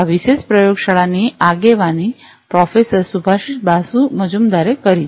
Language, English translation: Gujarati, This particular lab is lead by Professor Subhasish Basu Majumder